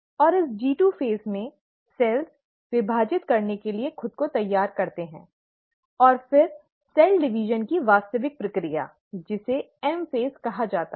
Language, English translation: Hindi, And in this G2 phase, the cells prepare itself to divide, and then the actual process of cell division, which is called as the M phase